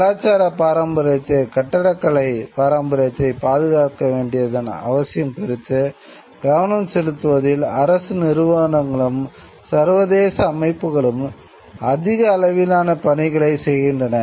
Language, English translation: Tamil, International bodies are doing a whole lot more and drawing attention to the need for preservation of cultural heritage of architectural heritage